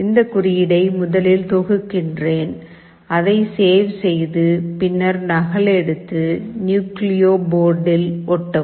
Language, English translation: Tamil, Let me compile this code first, save it then copy it, paste it on the nucleo board